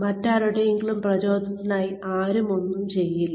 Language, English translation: Malayalam, Come on, nobody does anything, for anyone else's benefit